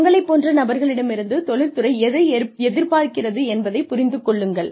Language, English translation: Tamil, Understand, what the industry is looking for, from people like you